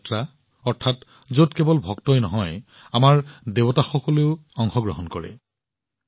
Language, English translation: Assamese, Dev Yatras… that is, in which not only the devotees but also our Gods go on a journey